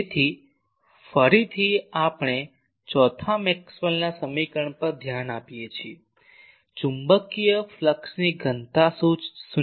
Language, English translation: Gujarati, So, again we look at the fourth Maxwell’s equation that divergence of the magnetic flux density is zero